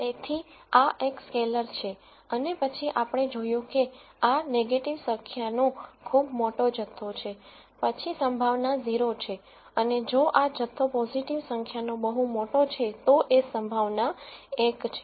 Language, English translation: Gujarati, So, this is a scalar and then we saw that if this quantity is a very large negative number, then the probability is 0 and if this quantity is a very large positive number the probability is 1